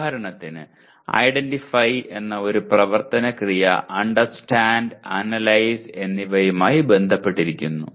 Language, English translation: Malayalam, For example, one action verb namely “identify” is associated with both Understand as well as Analyze